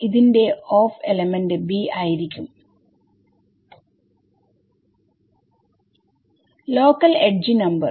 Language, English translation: Malayalam, 2 plus T of element b local edge number